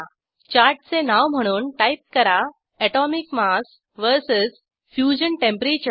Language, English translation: Marathi, Type name of the chart as, Atomic mass Vs Fusion temperature